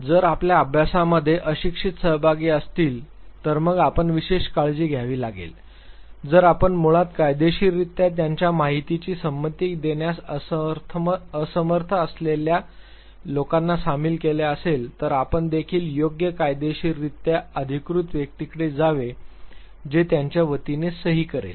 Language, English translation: Marathi, In case your study involves illiterate participants then you have to take special care, further if you involve people who are basically legally incapable of giving their informed consent then also you have to go for an appropriate legally authorized person who would sign on their behalf